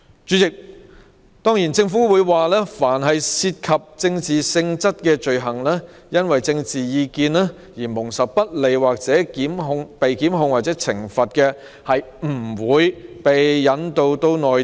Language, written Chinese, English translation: Cantonese, 主席，政府表示，凡涉及政治性質的罪行因政治意見而蒙受不利或被檢控或懲罰者，不會被引渡至內地。, President the Government stated that anyone who is involved in offences of a political character and is being prejudiced prosecuted or punished on account of his political opinions will not be extradited to the Mainland